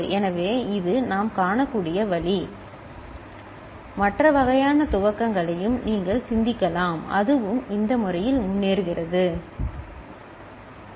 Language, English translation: Tamil, So, this is the way we can see that it works and you can think of other kind of initialisation also and we can see that it is it progresses in this manner, ok